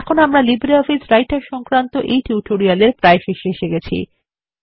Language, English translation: Bengali, This brings us to the end of this spoken tutorial on LibreOffice Writer